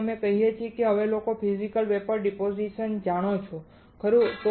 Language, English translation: Gujarati, So, having said that, now you guys know physical vapor deposition, right